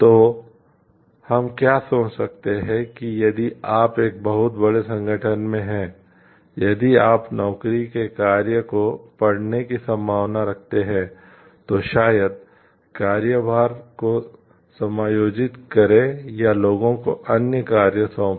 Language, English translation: Hindi, So, what we can think like is that if you are in a very large organization, if there is a possibility of readjusting work assignments maybe adjusting workloads or assigning other tasks to people